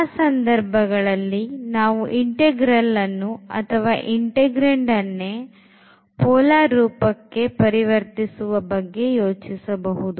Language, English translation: Kannada, In those cases, we can easily think of converting the integral to polar form or the integrand itself